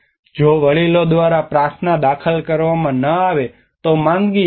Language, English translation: Gujarati, If a prayer is not intoned by the elders, a sickness will occur